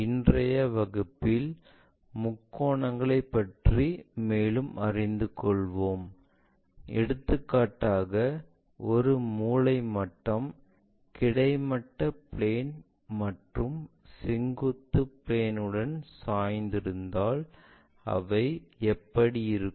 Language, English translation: Tamil, In today's class we will learn more about triangles for example, a set square if it is reoriented with horizontal planes and vertical planes, how do they really look like